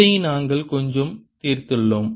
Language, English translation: Tamil, this we have solve quite a bit